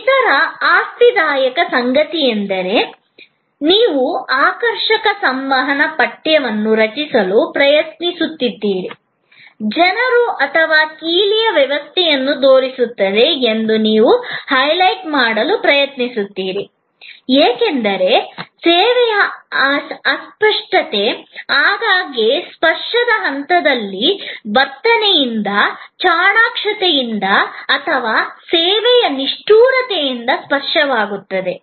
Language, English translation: Kannada, Other interesting you try to create catchy communications text, you try to highlight that people or the key differentiate, this because the service intangible often becomes tangible at the touch point by the attitude, by the smartness or by the callousness of the service provider